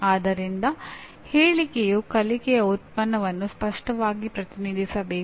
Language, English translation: Kannada, So the statement should clearly represent the learning product